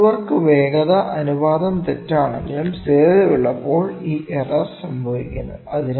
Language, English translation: Malayalam, This error occurs when the tool work velocity ratio is incorrect, but constant